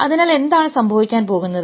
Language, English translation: Malayalam, So what is going to happen